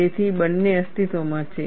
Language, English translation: Gujarati, So, both exists